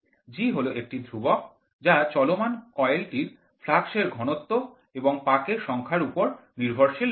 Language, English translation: Bengali, G is a constant and it is independent of flux density the moving of the area of the moving coil and the number of turns